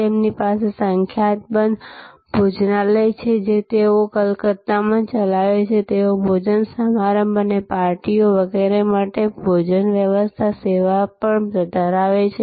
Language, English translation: Gujarati, They have number of restaurants, which they run in Calcutta; they also have catering service to serve banquettes and parties and so on